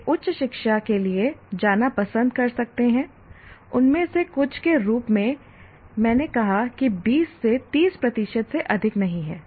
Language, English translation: Hindi, They may choose to go for higher education, only some of them, as I said, not more than 20 to 30 percent